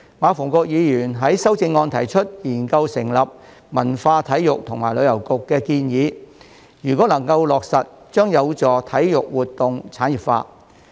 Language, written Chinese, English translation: Cantonese, 馬逢國議員於修正案中建議研究成立"文化、體育及旅遊局"，如果能夠落實，將有助體育活動產業化。, In his amendment Mr MA Fung - kwok suggests studying the establishment of a Culture Sports and Tourism Bureau . If implemented this would be conducive to the industrialization of sports